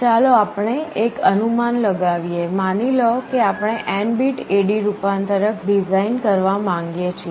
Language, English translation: Gujarati, Let us have an estimate, suppose we want to design an n bit A/D converter